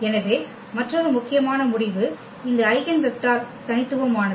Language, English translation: Tamil, So, another important result that this eigenvector is like a unique